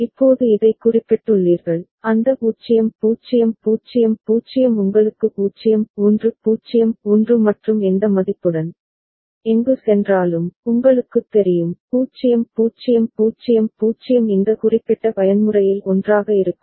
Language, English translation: Tamil, Now having noted this, that 0 0 0 0 to you know 0 1 0 1 and the value where with which, wherever it goes, then you know that and 0 0 0 0 stays together in this particular mode ok